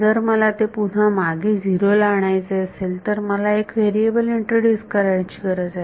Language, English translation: Marathi, If I want to bring it back down to 0, I need to introduce a new variable